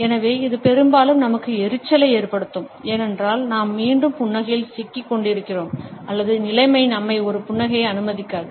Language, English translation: Tamil, So, it can be often irritating to us, because either we are trapped into smiling back or the situation does not allow us to a smile at all